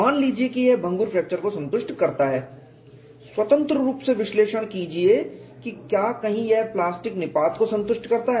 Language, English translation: Hindi, Suppose it satisfies the brittle fracture independently analyzed whether it satisfies plastic collapse